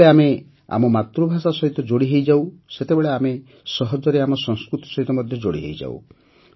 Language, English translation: Odia, When we connect with our mother tongue, we naturally connect with our culture